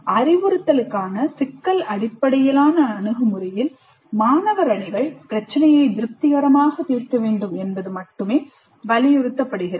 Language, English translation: Tamil, Whereas in the problem based approach to instruction, it only insists that the students teams must solve the problem satisfactorily